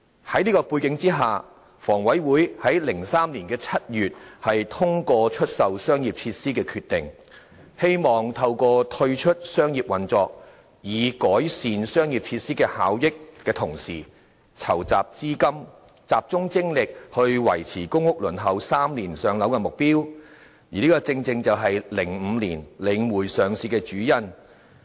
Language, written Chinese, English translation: Cantonese, 在這背景下，房委會在2003年7月，通過出售商業設施的決定，希望透過退出商業運作，改善商業設施效益的同時，籌集資金，集中精力維持公屋輪候3年上樓的目標，而此正是2005年領匯上市的主因。, Against such a background HA passed a decision in July 2003 to divest its commercial facilities in the hope of gathering funds to concentrate its effort on maintaining the target of public housing allocation within three years through retiring from commercial operation and improving the efficiency of commercial facilities . This was the main reason for The Link REITs listing in 2005